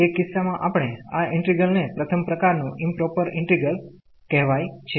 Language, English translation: Gujarati, In that case we call this integral improper integral of first kind